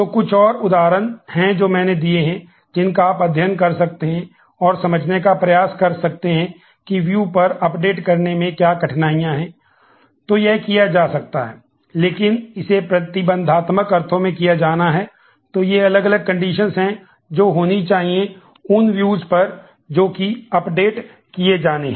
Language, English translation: Hindi, So, there are some more instances that I have given, which you can study and try to understand that what are the difficulties of updating on the view